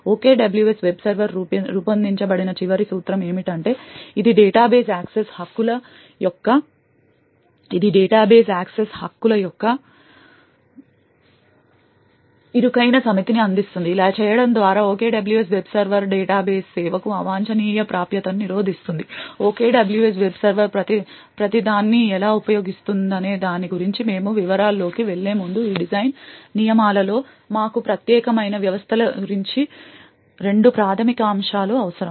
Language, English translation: Telugu, The last principle over which OKWS web server is designed is that it provides a narrow set of database access privileges, by doing this the OKWS web server prevents unrequired access to the database service, before we go into details about how the OKWS web server uses each of these design rules we would require two fundamental aspects about unique systems